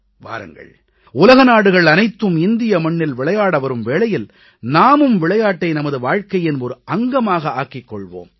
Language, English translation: Tamil, Come on, the whole world is coming to play on Indian soil, let us make sports a part of our lives